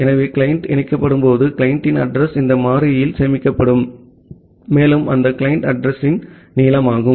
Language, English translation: Tamil, So, when the client will get connected the address of the client will get stored in this variable, and the length of that client address